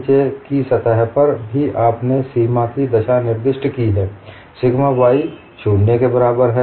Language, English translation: Hindi, On the bottom surface, and also you have specified the boundary conditions, sigma y equal to 0